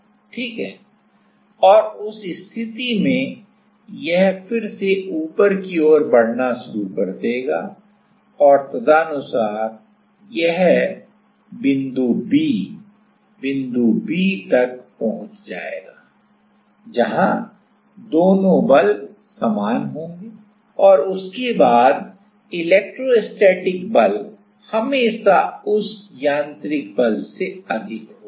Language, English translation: Hindi, And in that case it will start again moving up and accordingly and it will reach the B, the B point where the both the forces will be same and after that it is like the electrostatic force is always will be higher than that mechanical force